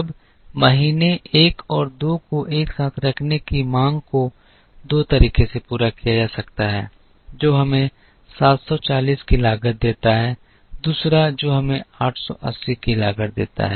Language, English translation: Hindi, Now, the demand of months one and two put together can be met in two ways one which gives us a cost of 740, the other that gives us a cost of 880